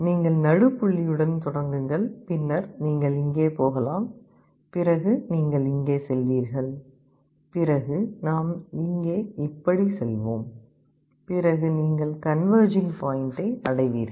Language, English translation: Tamil, You start with the middle point, then maybe you will be going here, then you will be going here then we will be going here like this; you will be converging to the point